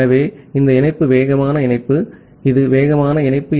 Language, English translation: Tamil, So, this link is a fast link